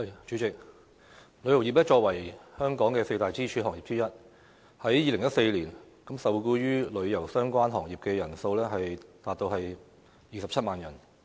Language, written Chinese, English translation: Cantonese, 主席，旅遊業作為香港四大支柱行業之一，在2014年，受僱與旅遊相關行業的人數達到27萬人。, President the tourism industry is one of the four pillar industries of Hong Kong and the number of people employed in tourism - related industries reached some 270 000 in 2014